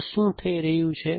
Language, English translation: Gujarati, So, what is happening